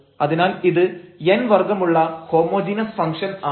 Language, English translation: Malayalam, Therefore, this is a function of homogeneous function of order n